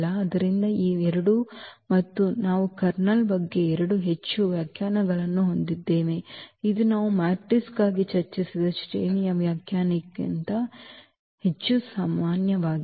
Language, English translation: Kannada, So, these 2 again we have the 2 more definitions of about the kernel which is more general than the definition of the rank we have discussed for matrices